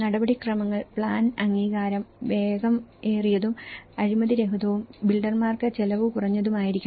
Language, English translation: Malayalam, Procedures, the plan approval should be fast, free from corruption and inexpensive for builder